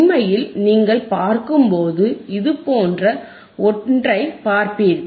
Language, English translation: Tamil, In reality in reality, when you see, you will see something like this right